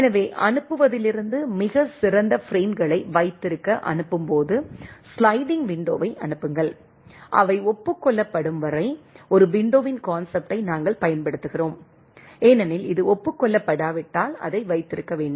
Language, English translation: Tamil, So, from the sending, send the sliding window at the sending a to hold the outstanding frames, until they are acknowledged, we use the concept of a window right, because unless this is acknowledged that has to hold right